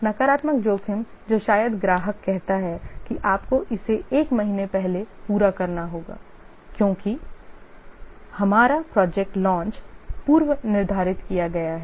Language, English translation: Hindi, The negative risk may be that the customer says that you need to complete it by one month early because our project launch has been pre scheduled